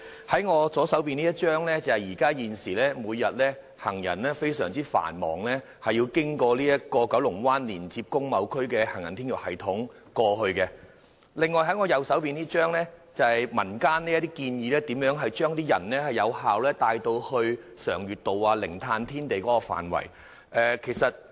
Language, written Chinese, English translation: Cantonese, 從我左手拿着的圖片所見，現時行人每天均須經由九龍灣連接工貿區的行人天橋系統到達該處，而我右手拿着的便是民間建議如何有效地將行人帶到常悅道或零碳天地的範圍。, From this picture in my left hand here we can see that every day the pedestrians go there via the walkway system connecting the industrial and business areas in Kowloon Bay and in my right hand it is the communitys proposal on how the pedestrians can be effectively taken to the area around Sheung Yuet Road or Zero Carbon Building